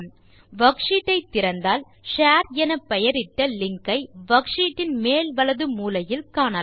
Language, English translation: Tamil, Let us open the worksheet and we see a link called share on the top right corner of the worksheet